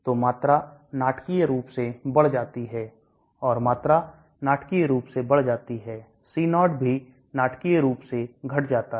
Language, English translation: Hindi, So the volume increases dramatically and the volume increases dramatically, the C0 also will drop dramatically